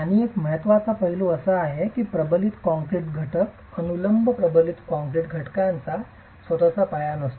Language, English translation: Marathi, Another important aspect is the fact that the reinforced concrete elements, the vertical reinforced concrete elements do not have a foundation of their own